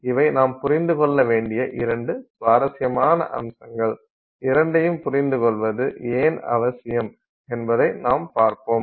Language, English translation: Tamil, These are two very interesting points that you have to understand and we will see why it is of interest to understand both